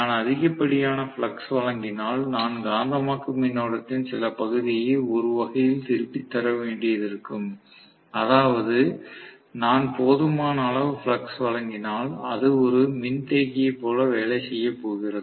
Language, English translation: Tamil, If I provide excessive amount of flux, then I might have to return some portion of the magnetising current in one sense, which means it is going to work like a capacitor, if I provide just sufficient amount of flux